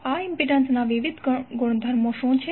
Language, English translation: Gujarati, What are the various properties of this impedance